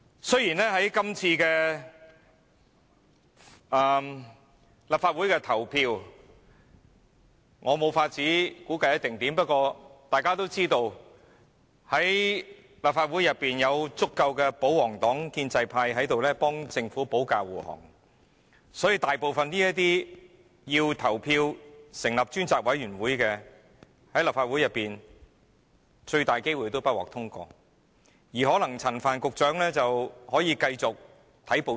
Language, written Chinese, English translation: Cantonese, 雖然我無法估計這次立法會的投票結果將會如何，但大家也知道，立法會內有足夠的保皇黨及建制派為政府保駕護航，所以這項成立專責委員會的議案，很大機會不獲通過，那麼陳帆局長大可繼續看報紙。, I cannot predict the voting result of the Legislative Council this time but we all know that there are sufficient votes from Members of the royalist party and pro - establishment camp to defend the Government in this Council so it is very likely that this motion on the appointment of a select committee will not be passed and Secretary Frank CHAN can then continue to read newspapers